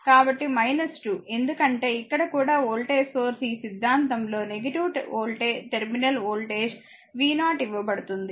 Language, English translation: Telugu, So, minus 2 because is a voltage source here also minus terminal voltage across this theory is given v 0